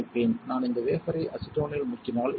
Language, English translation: Tamil, The next step would be I will dip this wafer in acetone